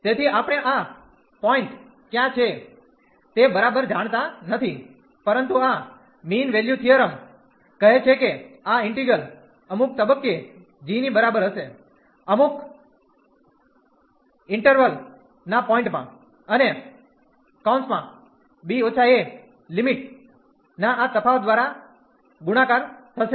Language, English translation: Gujarati, So, we do not know exactly where is this point, but this mean value theorem says that this integral will be equal to g at some point in the interval, and multiplied by this difference of the limit b minus a